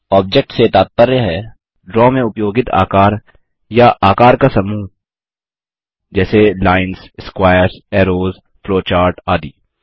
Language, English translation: Hindi, The term Object denotes shapes or group of shapes used in Draw such as lines, squares, arrows, flowcharts and so on